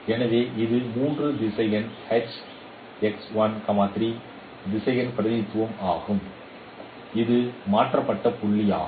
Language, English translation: Tamil, So this is a three vectorial HXY is a three vectorial representation that is a transformed point